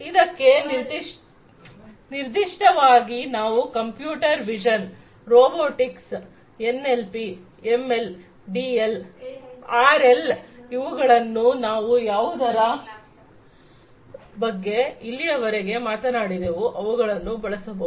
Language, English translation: Kannada, So, for this specifically you could use computer vision, robotics, NLP, ML, DL, RL all of these things that we have talked about so far you could use them